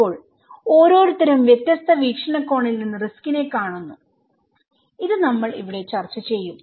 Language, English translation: Malayalam, Now, each one see risk from different perspective, we will discuss this here okay